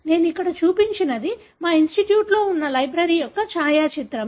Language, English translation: Telugu, So, what I have shown here is a photograph of the library that is there in our institute